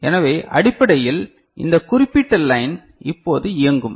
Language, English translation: Tamil, So, basically this particular line will be now operating